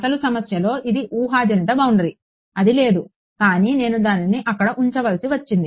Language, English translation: Telugu, It is a hypothetical boundary in the actual problem it is not there, but I had to put it there